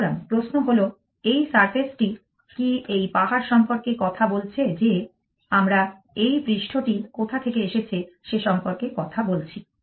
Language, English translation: Bengali, So, the question is what is this surface appear talking about this hill that we are talking about where does this surface come from